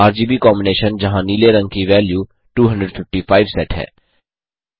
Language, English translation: Hindi, RGB combination where blue value is set to 255